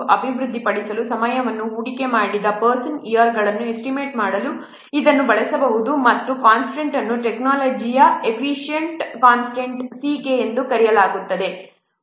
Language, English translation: Kannada, It can also be used to estimate the person years invested the time to develop and a constant called as technology coefficient constant CK